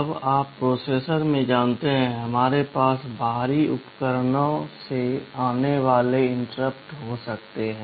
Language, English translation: Hindi, Now you know in processors, we can have interrupts coming from external devices